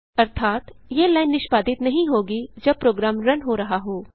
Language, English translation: Hindi, It means, this line will not be executed while running the program